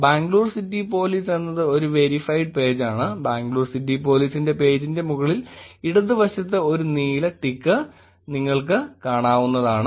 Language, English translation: Malayalam, Bangalore City Police is the verified page you can see a blue tick next to the top left of Bangalore City Police